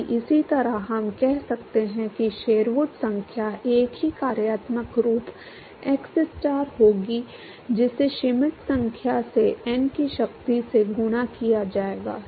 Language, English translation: Hindi, If similarly, we could say that Sherwood number will be same functional form xstar multiplied by Schmidt number to the power of n